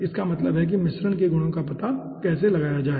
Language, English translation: Hindi, okay, that means how to find out the mixture properties